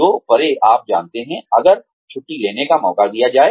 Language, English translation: Hindi, Beyond which, you know, if given a chance to take a vacation